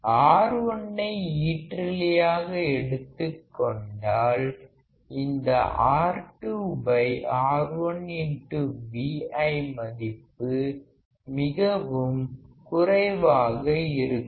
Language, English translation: Tamil, Let us say if R1 is infinite or close to infinity; this R2 by R1 into Vi value will be extremely small